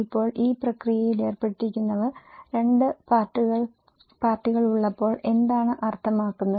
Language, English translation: Malayalam, Now, who are involved into this process, what is the meaning when there are two parties